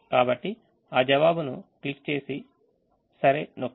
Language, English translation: Telugu, so just click that answer and press ok